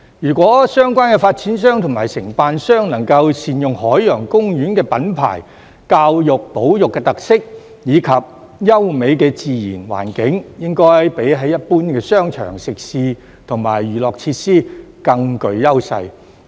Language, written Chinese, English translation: Cantonese, 如果相關的發展商及承辦商能夠善用海洋公園的品牌、教育保育的特色，以及優美的自然環境，應該比一般的商場、食肆和娛樂設施更具優勢。, If the developers and contractors can make good use of Ocean Parks brand name its educational and conservational features as well as the pleasant natural environment they should have an edge over ordinary shopping malls food establishments and entertainment facilities